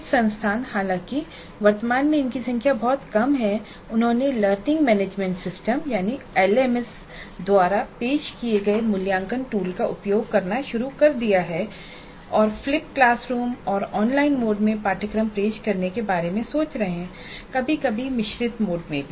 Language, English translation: Hindi, Some institutions though at present are still very small in number have started using assessment and evaluation tools offered by learning management systems and are thinking of offering courses in flipped classroom and online mode sometimes in blended mode